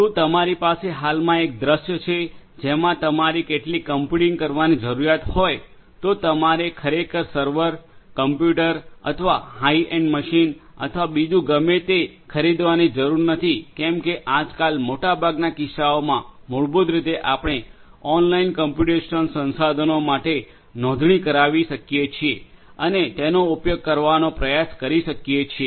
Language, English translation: Gujarati, Is you have a scenario at present you know today you do not really if you have some computational needs you really do not need to go and buy a server, a computer or a high end machine or whatever it is sufficient nowadays in most of the cases to basically you know subscribe yourself to some of these online computational resources and try to use them